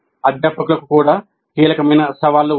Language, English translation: Telugu, And there are key challenges for faculty also